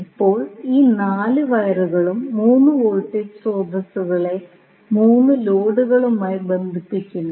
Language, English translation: Malayalam, Now, these 4 wires are connecting the 3 voltage sources to the 3 loads